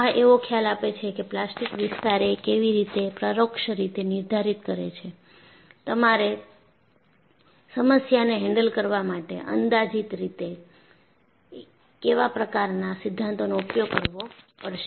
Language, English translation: Gujarati, So, this gives an overall idea how plastic zone indirectly dictates, which type of theory you have to invoke as a first approximation to handle the problem